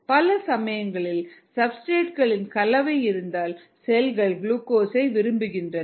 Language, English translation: Tamil, if there is a mixture of substrates, cells tend to prefer glucose